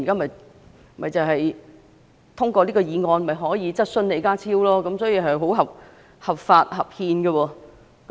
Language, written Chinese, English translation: Cantonese, 毛孟靜議員透過這項議案向李家超提出質詢，是合法和合憲的。, It is lawful and constitutional for Ms Claudia MO to put question to John LEE through this motion